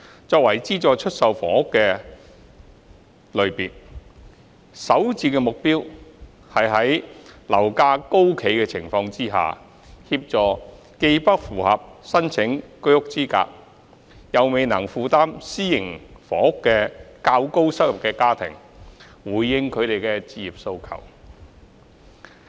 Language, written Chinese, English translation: Cantonese, 作為資助出售房屋的一個類別，首置的目標是在樓價高企的情況下，協助既不符合申請居屋資格、又未能負擔私營房屋的較高收入家庭，回應他們的置業期望。, As a type of subsidized sale flats SSFs SH aims to help the higher - income families who are not eligible for HOS and yet cannot afford private housing to meet their home ownership aspirations in the face of high property prices